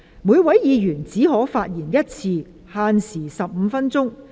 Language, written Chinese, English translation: Cantonese, 每位議員只可發言一次，限時15分鐘。, Each Member may only speak once and may speak for up to 15 minutes